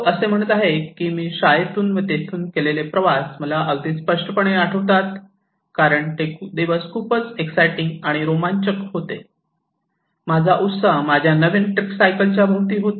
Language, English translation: Marathi, He is saying that I can remember very clearly the journeys I made to and from the school because they were so tremendously exciting, the excitement centred around my new tricycle